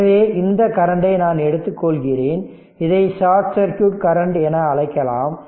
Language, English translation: Tamil, So, that is your what you call short circuit current